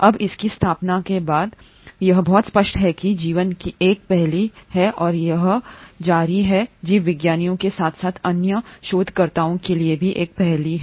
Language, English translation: Hindi, Now since its inception, it is very clear that life has been an enigma and it continues to be an enigma for a lot of biologists as well as other researchers